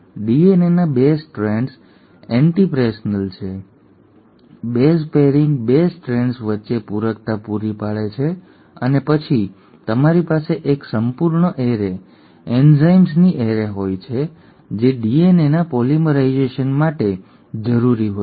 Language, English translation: Gujarati, The 2 strands of DNA are antiparallel, the base pairing provides the complementarity between the 2 strands and then you have a whole array, array of enzymes which are required for uncoiling of the DNA, for polymerisation of DNA